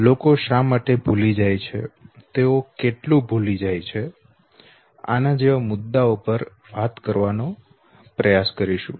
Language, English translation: Gujarati, We will try to make out why people forget, how much they forget and issues like this